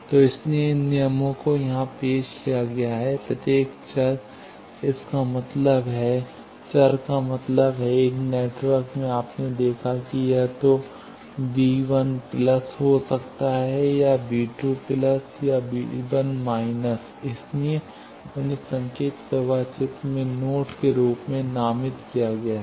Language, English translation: Hindi, So, that is why, these rules are introduced here that, each variable, that means, variable means, in a network, you have seen that, it can be either V 1 plus, or V 2 plus, or V 1 minus; so, those are designated as a node in a signal flow graph